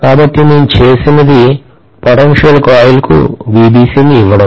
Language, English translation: Telugu, So what I have done is to apply VBC to the potential coil